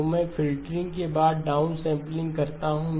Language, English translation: Hindi, So I do the filtering followed by the down sampling